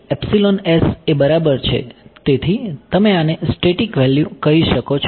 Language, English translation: Gujarati, Epsilon s right so this is you can call this the static value